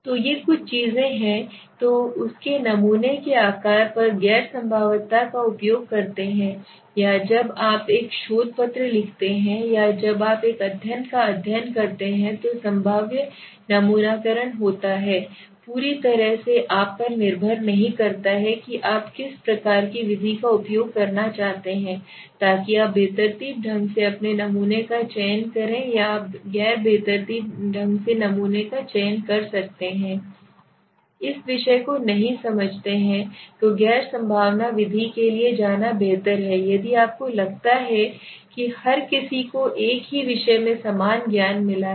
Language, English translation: Hindi, So these are some of the things right then I will come from her to the sample size right okay now once you understood okay what to use first you understood whether you use the non probabilistic or probabilistic sampling when you write a research paper or when you studying a study it entirely depends not upon you right what kind of as method you want to use so you can select your sample randomly or select you can select sample non randomly so if you want if you feel that all the people do not understand this subject then it is better to go for a non probabilistic method if you feel that everybody has got a equal knowledge in the same subject